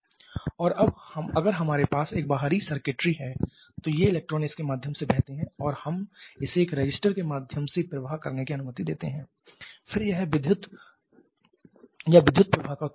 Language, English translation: Hindi, And now if this if we have an external circuitry then this transpose to this we allow it to flow through a resister then that produces electrical electricity or electrical current